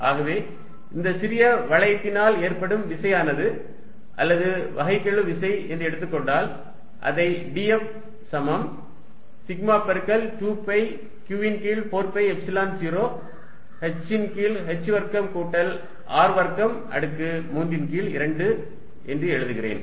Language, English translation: Tamil, And therefore, the force due to this small ring or let us write differential force is going to be d Q which is sigma times 2 pi Q over 4 pi Epsilon 0 h over h square plus now I am going to write small r square raise to 3 by 2 and there is a r dr which is this term which I have written out here to facilitate integration